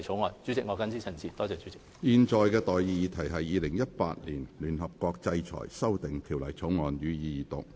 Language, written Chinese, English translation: Cantonese, 我現在向各位提出的待議議題是：《2018年聯合國制裁條例草案》，予以二讀。, I now propose the question to you and that is That the United Nations Sanctions Amendment Bill 2018 be read the Second time